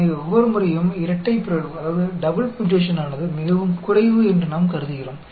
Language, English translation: Tamil, So, every time we assume that double mutation is extremely low